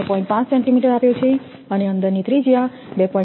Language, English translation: Gujarati, 5 centimeter and inside radius is 2